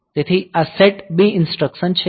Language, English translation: Gujarati, So, this is the set B instruction is there